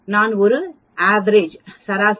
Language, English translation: Tamil, I put a v e r a g e, average